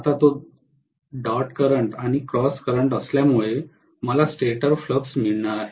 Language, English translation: Marathi, Now because it is dot current and cross current, I am going to have the stator flux